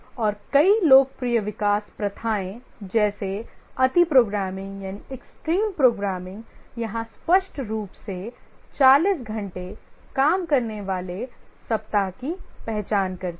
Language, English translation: Hindi, And many of the popular development practices like the extreme programming here it clearly identifies 40 hour working week